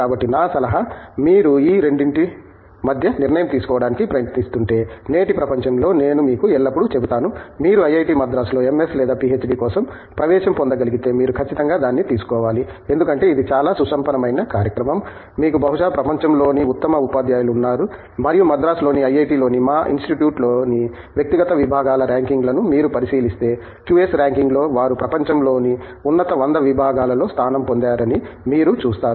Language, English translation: Telugu, In today's world I would almost always tell you that, if you are able to secure an admission at IIT Madras, for an MS or a PhD you should definitely take it up because it is a very enriching program you have probably the best teachers in the world, and if you look at the rankings of the individual departments in our institute in IIT, Madras, you will see that in QS ranking, they have ranked among the top 100 departments in the world